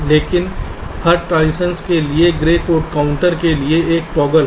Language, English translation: Hindi, but for grey code counter, for every transition there is one toggle